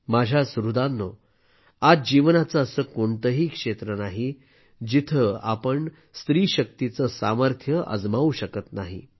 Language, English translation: Marathi, My family members, today there is no area of life where we are not able to see the capacity potential of woman power